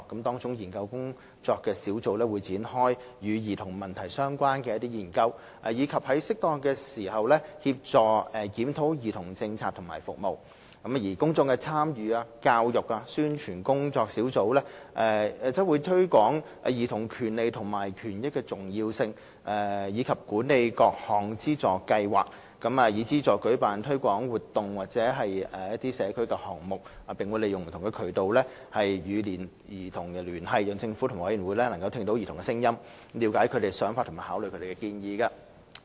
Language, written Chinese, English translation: Cantonese, 當中的研究工作小組會展開與兒童問題相關的研究，以及在適當時協助檢討兒童政策和服務，而公眾參與、教育及宣傳工作小組則會推廣兒童權利和權益的重要性，以及管理各項資助計劃，以資助舉辦推廣活動或社區項目，並會利用不同渠道與兒童聯繫，讓政府及委員會聆聽兒童的聲音，了解他們的想法和考慮他們的建議。, The Working Group on Research will initiate research studies on children - related issues and help review children - related policies and services as appropriate . As for the Working Group on Public Engagement Education and Publicity it will promote the importance of childrens rights and interests manage funding schemes for organizing publicity or community projects and keep in touch with children through different channels and means to enable the Government and the Commission to listen to their voices understand their views and take into account their suggestions